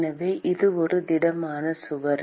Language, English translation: Tamil, So, it is a solid wall